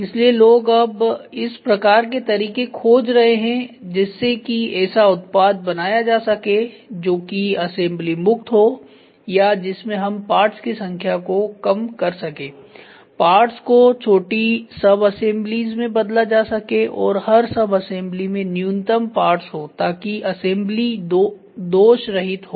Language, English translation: Hindi, So, now, people are looking for can we make a product which is assembly free or let us can we reduce the number of parts make it into small subassemblies in each subassembly you have very minimum parts so that the assembly is perfect